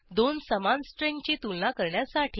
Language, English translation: Marathi, To compare two not equal strings